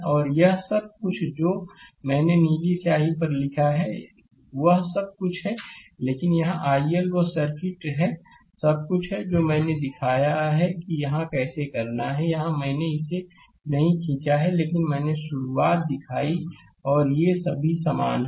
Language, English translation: Hindi, And all this whatever I wrote on the blue ink right everything is there, but there here i L there circuit everything I showed how to do it here I have not drawn it, but I showed you the beginning right and these are all same